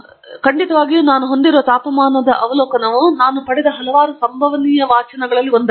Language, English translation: Kannada, Definitely the temperature observations that I have are just one of the many possible readings that I could have obtained